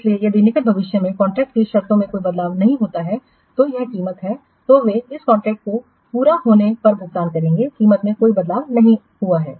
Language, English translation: Hindi, So if there are no changes in the contract terms in near future, then this price they will pay on completion of this contract